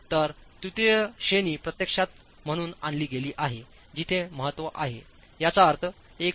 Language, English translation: Marathi, So, third category has actually been brought in as far as importance is concerned, which means with a 1